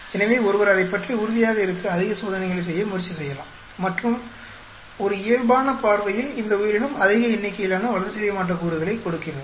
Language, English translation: Tamil, So, one may try to do more experiments to be sure about it and on just by a casual look, this organism is giving the highest number of the metabolite